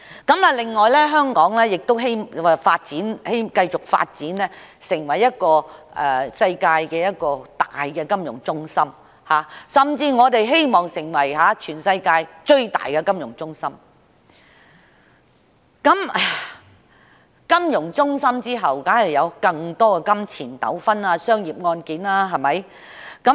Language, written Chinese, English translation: Cantonese, 此外，我們希望香港繼續發展成為世界主要的金融中心，甚至成為全世界最大的金融中心，而隨着這些發展，當然會有更多涉及金錢糾紛的商業案件，對嗎？, Moreover we hope that Hong Kong can continuously develop as the worlds major financial centre or better still the worlds largest financial centre . These developments are certainly followed by more commercial cases involving monetary disputes right?